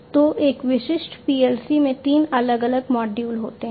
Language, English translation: Hindi, So, a typical PLC has three different modules